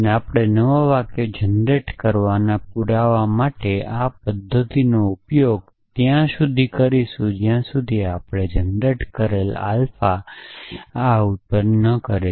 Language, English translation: Gujarati, And we want to use this mechanism of proof of generating new sentences till we have generates generated alpha for essentially